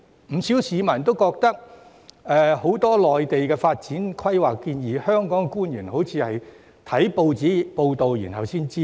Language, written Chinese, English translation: Cantonese, 不少市民都覺得，關於很多內地的發展規劃建議，香港官員好像是看報章才得悉。, Hong Kong officials give people an impression that they do not know much about the proposed developments of the Mainland and could only learn them from news reports